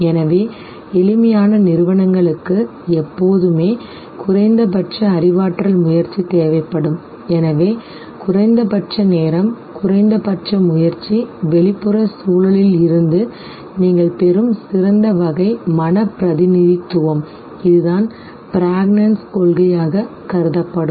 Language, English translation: Tamil, So, simplest organizations would always require a minimal cognitive effort and therefore minimum time, minimum effort, best type of mental representation that you derive from the external environment, this is what would be considered as the principle of pregnancy